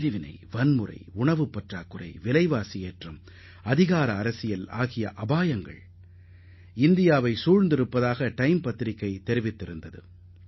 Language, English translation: Tamil, Time Magazine had opined that hovering over India then were the dangers of problems like partition, violence, food scarcity, price rise and powerpolitics